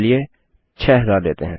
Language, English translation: Hindi, There you go up to 6000